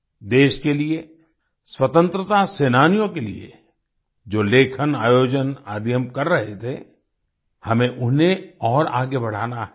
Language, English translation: Hindi, For the country, for the freedom fighters, the writings and events that we have been organising, we have to carry them forward